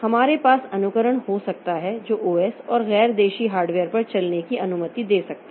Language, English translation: Hindi, We can have emulation that can allow an OS to run on a non native hardware